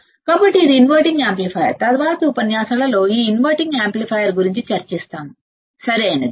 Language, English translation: Telugu, So, this is inverting amplifier, we will discuss this inverting amplifier in the subsequent lectures, right